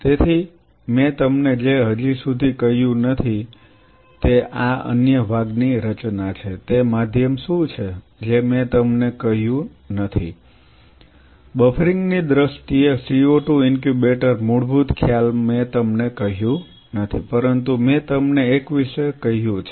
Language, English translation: Gujarati, So, what I have not told you as of now is this other part composition what is that medium this I have not told you, co 2 incubator fundamental concept in terms of the buffering I have not told you, but I have told you about a substrate and how you are isolating the cells